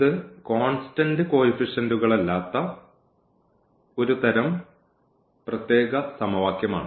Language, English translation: Malayalam, So, this is one kind of special kind of equation with non constant coefficients